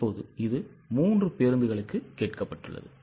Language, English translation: Tamil, Now it is for three buses